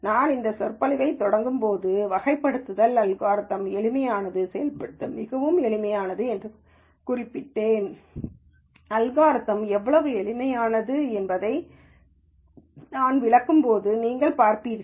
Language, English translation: Tamil, As I started this lecture I mentioned it simplest of classification algorithms, very easy to implement and you will see when I explain the algorithm how simple it is